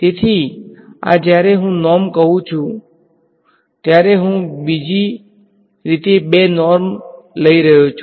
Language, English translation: Gujarati, So, these when I say norm, I am taking the two norm of other way